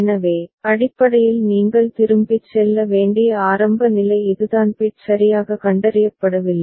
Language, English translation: Tamil, So, basically that is the initial state you have to go back that is no bit is properly detected